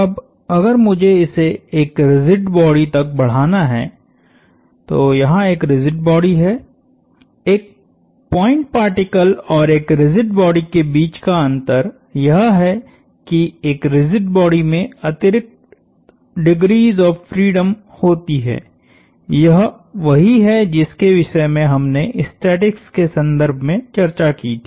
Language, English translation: Hindi, Now, if I have to extend the same to a rigid body, so there is a rigid body, the difference between a point particle and a rigid body is that, a rigid body has additional degrees of freedom, this is what we talked about in the context of statics